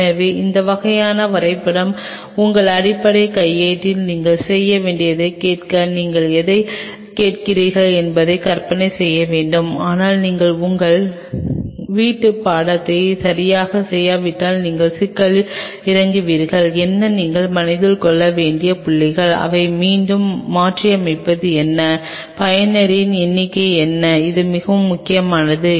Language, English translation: Tamil, So, these kind of drawings you have to do in your basic manual to visualize what you are asking for whatever you are going to asking for your going to get that, but unless you do your homework right you will land up in trouble and what are the points what you have to keep in mind, what is your again rehashing it is, what is the number of user this is very important